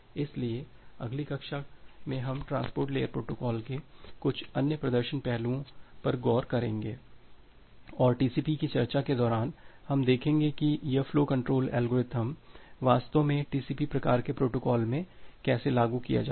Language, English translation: Hindi, So, in the next class we’ll look into some other aspects performance aspects of transport layer protocol and during the discussion of TCP we will see that how this flow control algorithms are actually implemented in TCP type of protocol